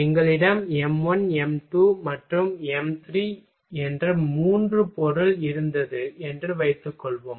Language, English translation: Tamil, Suppose that we had three material m 1, m 2 and m 3 ok